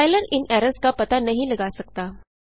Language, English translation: Hindi, Compiler cannnot find these errors